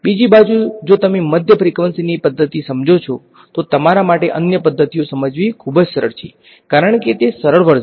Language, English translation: Gujarati, On the other hand, if you understand mid frequency methods, it is much easier for you to understand the other methods because they are simpler version right